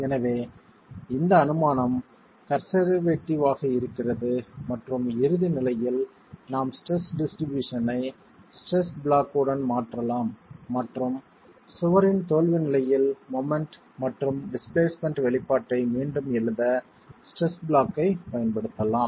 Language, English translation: Tamil, So, this assumption is conservative and at ultimate conditions we can then replace the stress distribution with the stress block and use the stress block to rewrite the moment and displacement expression at the failure condition of the wall itself